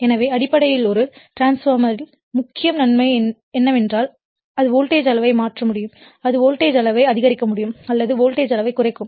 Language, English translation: Tamil, So, basically in a transformer that one of the main advantages is that that it can transmit the voltage level that is it can increase the voltage level or it can you what you call decrease the voltage level